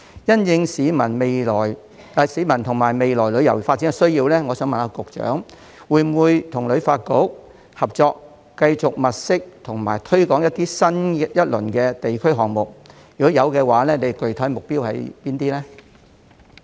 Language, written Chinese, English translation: Cantonese, 因應市民和未來旅遊發展的需要，我想問局長會否與旅發局合作，繼續物色和推廣新一輪的地區項目；如果會，具體目標是甚麼呢？, In view of public demands and the need for future tourism development may I ask the Secretary whether he will work in partnership with HKTB to continue to look for and promote a new round of district programmes; if he will what are the specific goals?